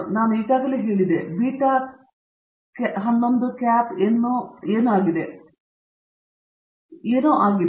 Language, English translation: Kannada, I already told you, what beta hat 11 is